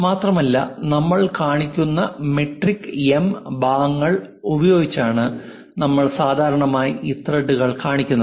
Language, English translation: Malayalam, And usually these threads by metric M portions we will show